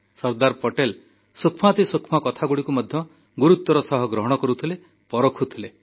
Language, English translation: Odia, Sardar Patel used to observe even the minutest of things indepth; assessing and evaluating them simultaneously